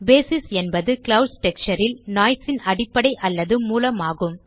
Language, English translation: Tamil, Basis is the base or source of the noise in the clouds texture